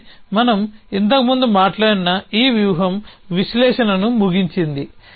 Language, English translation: Telugu, And then this strategy that we at spoken about earlier means ends analysis